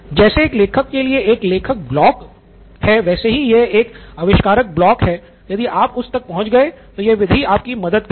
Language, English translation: Hindi, What is equivalent of a writer’s block for an author, for a writer is an inventor’s block if you have reached that then this method will help you